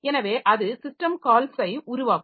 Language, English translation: Tamil, At this point it executes the system call